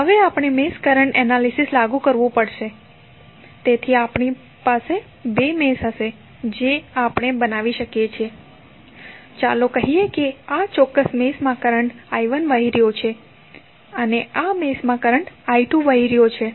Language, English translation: Gujarati, Now, we have to apply mesh current analysis, so we will have essentially two meshes which we can create say let us say that in this particular mesh current is flowing as I 1, in this mesh current is flowing as I 2